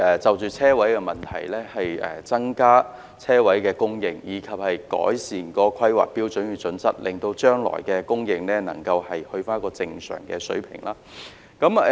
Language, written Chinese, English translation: Cantonese, 就着車位問題，我們也爭取增加車位的供應，以及改善《香港規劃標準與準則》，令將來的供應能回復正常水平。, As far as parking spaces are concerned we have also striven to increase the supply of parking spaces and make enhancements to the Hong Kong Planning Standards and Guidelines so that the future supply will be restored to a normal level